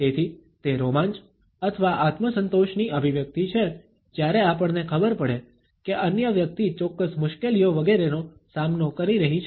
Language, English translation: Gujarati, So, it is an expression of the thrill or the self satisfaction when we discovered that the other person is facing certain hardships etcetera